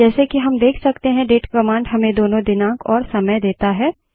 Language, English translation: Hindi, As we can see the date command gives both date and time